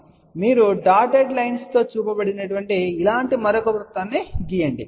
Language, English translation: Telugu, So, you draw another circle like this which has been shown in the dotted line